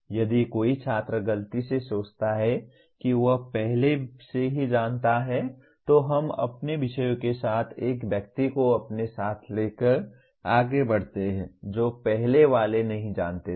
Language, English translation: Hindi, If a student mistakenly thinks that he already knows then we move forward with our subject taking a person along with you who did not know the earlier ones